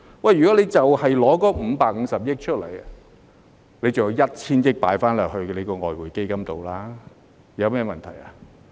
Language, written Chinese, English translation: Cantonese, 如果只花550億元，尚有 1,000 億元可以存入外匯基金中，那有甚麼問題呢？, If only 55 billion is spent there will still be 100 billion to be deposited into the Exchange Fund . What is the problem?